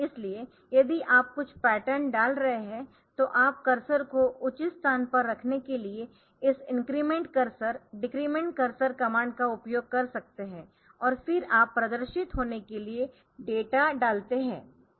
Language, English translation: Hindi, So, you can use this increment cursor decrement cursor commands for putting the cursor at a proper place and then you put the data to be displayed